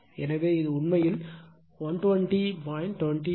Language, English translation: Tamil, So, it will become actually 120